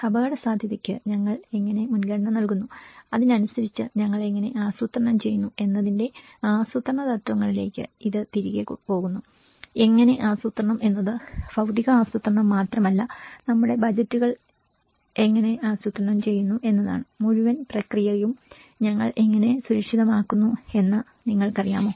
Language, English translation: Malayalam, It goes back to the planning principles of how we prioritize the risk and how we plan accordingly, how plan in the sense is not only the physical planning, how we plan our budgets, how we secure the whole process you know, that is how we have discussed